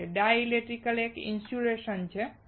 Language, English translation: Gujarati, Dielectric is a simply an insulator